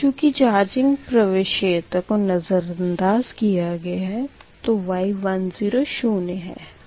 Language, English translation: Hindi, but charging admittance is neglected, so y one zero is zero